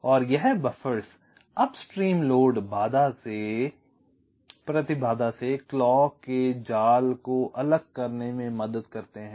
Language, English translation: Hindi, right, and this buffers help in isolating the clock net from upstream load impedances